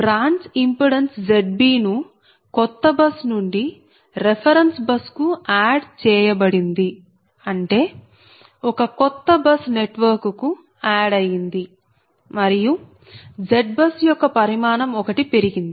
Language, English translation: Telugu, so in this case branch impedance z b is added from a new bus to the reference bus, that is, a new bus is added to the network and one dimension of z bus goes